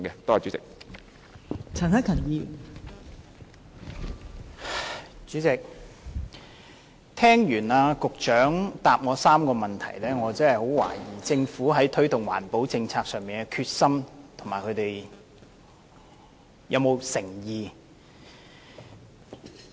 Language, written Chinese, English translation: Cantonese, 代理主席，聽畢局長就我提出的3個問題的答覆後，我實在懷疑政府在推動環保政策上是否有決心和誠意？, Deputy President after hearing the Secretarys reply to the three questions asked by me I really doubt the determination and sincerity of the Government in promoting environmental protection policies